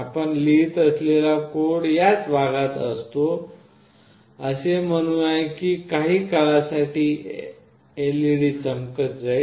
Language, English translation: Marathi, The code that you write, let us say that, LED will glow for some time